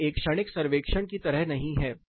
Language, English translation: Hindi, It is not like a momentary survey